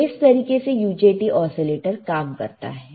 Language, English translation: Hindi, So, this is how the UJT oscillator will work